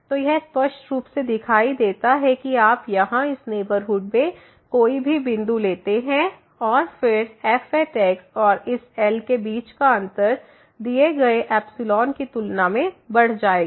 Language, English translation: Hindi, So, it is clearly visible that you take any point in this neighborhood here and then, the difference between the and this will increase than the given epsilon here